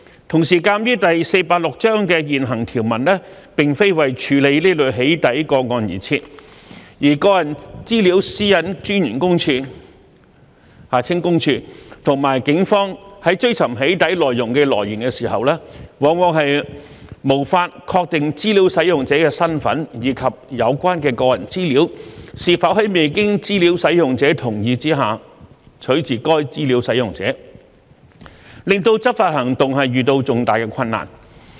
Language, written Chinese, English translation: Cantonese, 同時，鑒於第486章的現行條文並非為處理這類"起底"個案而設，而個人資料私隱專員公署和警方在追尋"起底"內容的來源時，往往無法確定資料使用者的身份，以及有關的個人資料是否在未經資料使用者同意下取自該資料使用者，令執法行動遇到重大困難。, 486 are not intended for addressing this type of doxxing cases the Office of the Privacy Commissioner for Personal Data PCPD and the Police are often unable to ascertain the identity of the data user and whether the personal data was obtained from the data user without the data users consent which cause great difficulties to their law enforcement actions